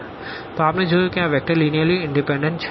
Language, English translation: Gujarati, So, here we have seen that these vectors are linearly independent